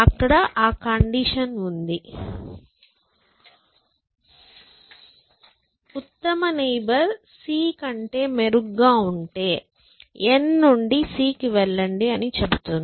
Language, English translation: Telugu, Here, we have that condition, if the best neighbor is better than c, then you move from n to c